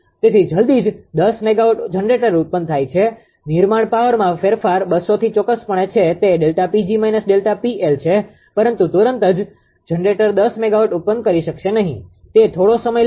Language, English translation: Gujarati, So, as soon as ten mega generated a generator, the change in generating power from 200 of course, it is delta P g minus delta P L, but instantaneously generator cannot generate the ten megawatt it will take some time